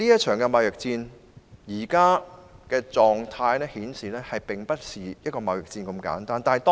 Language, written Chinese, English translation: Cantonese, 綜觀目前的狀態，這場貿易戰並不是一場簡單的貿易戰。, Judging from the present state of affairs the current trade war is not a simple trade war